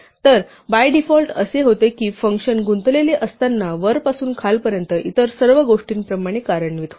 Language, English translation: Marathi, So, by default what happens is that a function executes like everything else from top to bottom when it is involved